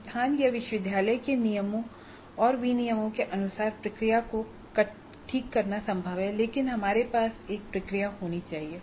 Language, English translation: Hindi, It is possible to fine tune the process according to the rules and regulations of the institute or the university but we must have a process